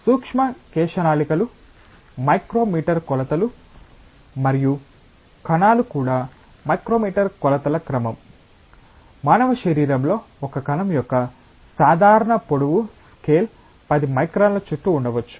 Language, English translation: Telugu, The micro capillaries are of the order of micrometer dimensions and cells are also of the order of micrometer dimensions, like typical length scale of a cell in human body may be around 10 microns